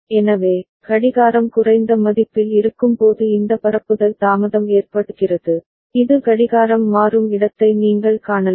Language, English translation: Tamil, So, this propagation delay is occurring when the clock is there in the low value all right, you can see this is where the clock is changing